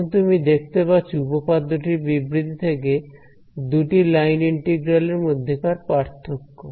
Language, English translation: Bengali, Now as you can see the statement of the theorem shows you the difference between two line integrals